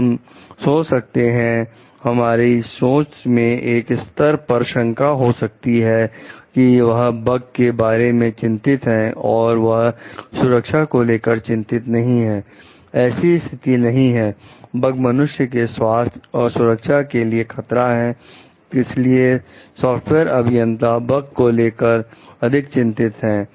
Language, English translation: Hindi, So, we may be thinking like we maybe you know kind of thinking in the point of dilemma, they are concerned about bugs they are not concerned about safety that is not the case, the bugs me threaten human health and safety that is why as software engineers they are more concerned about the bugs